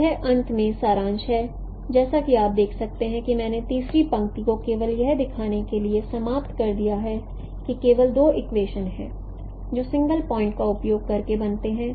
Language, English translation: Hindi, Finally as you can see I have eliminated the third row just to show that there are only two equations which are formed by using a single point correspondence